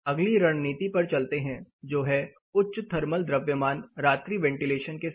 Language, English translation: Hindi, If you have some of these strategies for example, this says high thermal mass with night ventilation